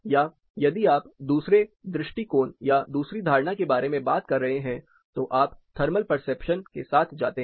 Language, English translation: Hindi, Or, if you are talking about the second approach or the second notion you come to terms with the thermal perception